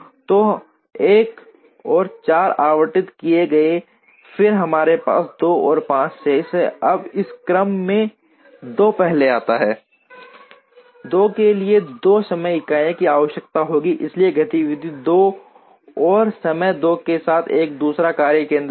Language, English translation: Hindi, So, 1 and 4 are allotted, then we have 2 and 5 remaining, now in this order 2 comes first 2 requires 2 time units, so create a second workstation with activity 2 and time 2